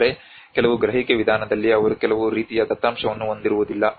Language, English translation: Kannada, But in certain perception approach they have lacking some kind of data